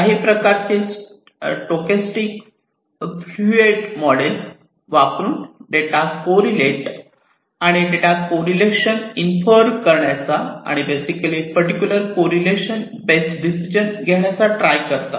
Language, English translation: Marathi, And some kind of a stochastic fluid model is used to correlate the data and try to infer the correlation basically try to infer the decisions, based on that particular correlation